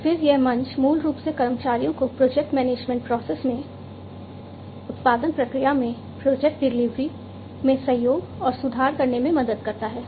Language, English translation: Hindi, And they this platform basically helps employees to collaborate and improve upon the project delivery in the production process, in the project management process, rather